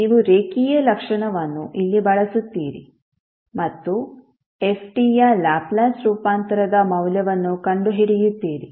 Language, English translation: Kannada, You will use linearity property here & find out the value of the Laplace transform of f t